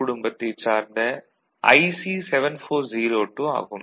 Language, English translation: Tamil, So, corresponding IC is 7402 in the TTL family